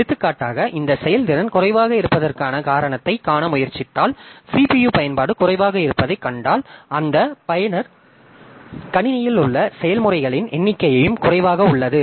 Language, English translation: Tamil, And if you are, for example, trying to see the reason for this throughput being low, then if you see that the CPU usage is low, that means that user the number of processes in the system is also less